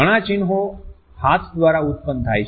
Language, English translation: Gujarati, Many emblems are produced by hands